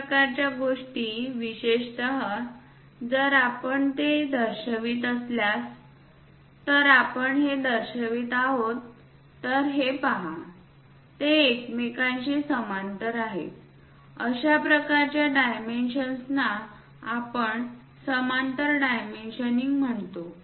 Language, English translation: Marathi, That kind of thing especially if we are showing it if we are showing this one this one this one, look at this these are parallel with each other; such kind of dimensions what we call parallel dimensioning